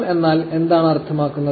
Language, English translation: Malayalam, So, here is what a JSON means